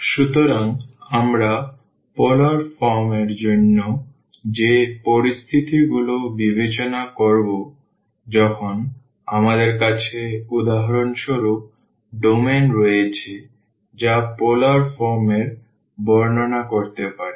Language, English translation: Bengali, So, the situations we will be considering for the polar form when we have for example the domain which can be described in polar form